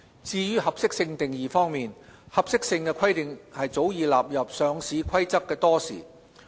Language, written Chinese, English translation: Cantonese, 至於合適性定義方面，合適性規定早已納入《上市規則》多時。, About the definition of suitability provisions on suitability have long been introduced to the Listing Rules